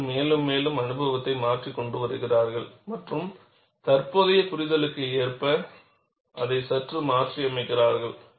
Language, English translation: Tamil, People bring in more and more experience and slightly modify it, to suit current understanding